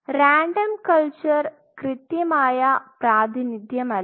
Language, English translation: Malayalam, Random culture not an exact representation points one